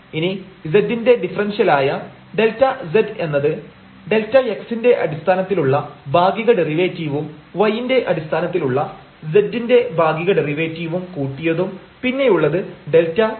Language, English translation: Malayalam, And, now this dz the differential of z is partial derivative with respect to x delta x plus the partial derivative of z with respect to y and then we have delta y